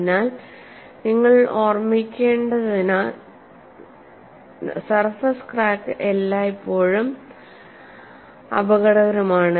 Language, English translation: Malayalam, So, because of that you have to keep in mind, the surface cracks are always dangerous